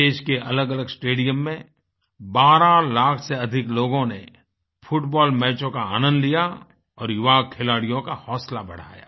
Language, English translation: Hindi, More than 12 lakh enthusiasts enjoyed the romance of Football matches in various stadia across the country and boosted the morale of the young players